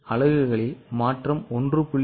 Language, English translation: Tamil, No change by units